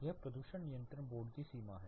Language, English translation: Hindi, This is a pollution control board limit